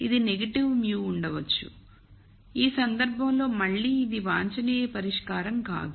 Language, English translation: Telugu, So, it might get negative mu in which case again this is not an optimum solution